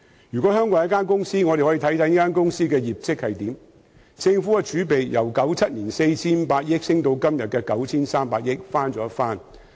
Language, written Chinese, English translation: Cantonese, 假設香港是一間公司，讓我們看看這間公司的業績如何：政府儲備由1997年的 4,500 億元上升至今天的 9,300 億元，翻了一番。, Let us assume that Hong Kong is a company and let us take a look at its performance government reserves have increased from 450 billion in 1997 to 930 billion today which have doubled